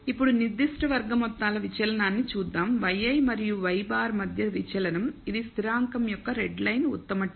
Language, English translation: Telugu, Now, let us look at certain sum squared deviation the deviation between y i and y bar which is the redline best t of the constant